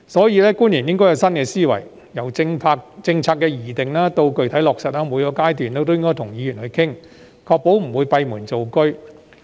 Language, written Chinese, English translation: Cantonese, 因此，官員應該有新思維，由政策的擬定到具體落實，每個階段都應跟議員商討，確保不會閉門造車。, Therefore officials should adopt a new mindset and discuss policies with Members at every stage from formulation to the concrete implementation so as to ensure that they will not make decisions behind closed doors